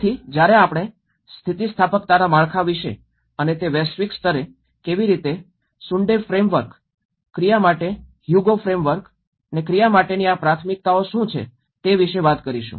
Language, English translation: Gujarati, So, when we talk about the resilience frameworks and that at a global level, how the Sundae framework, how the Hugo framework for action, what are these priorities for action